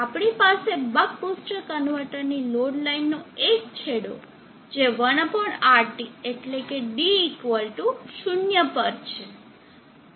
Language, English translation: Gujarati, We have the extreme to the load line to the buck boost convertor 1/RT this is one extreme at D =0